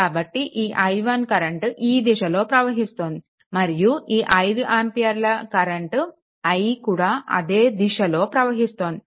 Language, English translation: Telugu, So, this current is i i is this direction is this 5 ampere that this is your i 1 same direction